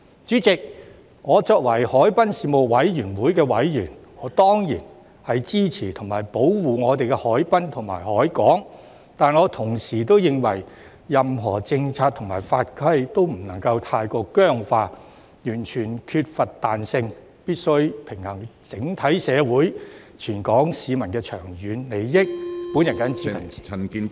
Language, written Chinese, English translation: Cantonese, 主席，作為海濱事務委員會委員，我當然支持保護我們的海濱和海港，但我同時認為，任何政策和法規均不能太過僵化，完全缺乏彈性，必須平衡整體社會和全港市民的長遠利益，我謹此陳辭。, President as a member of the Harbourfront Commission I certainly support the protection of our waterfront and harbour but at the same time I believe that policies and regulations must not be too rigid and inflexible . A balance must be struck between the long - term interests of the entire society and those of all Hong Kong people . I so submit